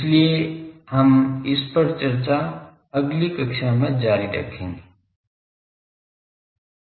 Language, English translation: Hindi, So, we will continue this discussion in the next class